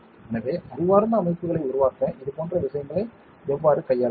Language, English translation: Tamil, Now, how do you handle such things to make intelligent systems